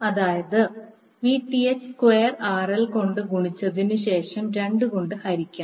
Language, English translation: Malayalam, That means Vth square into RL by 2